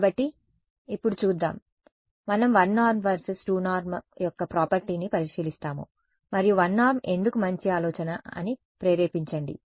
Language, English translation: Telugu, So, now let us look at; so, what will do is we will just look at a property of 1 norm vs 2 norm and then motivate why 1 norm is a good idea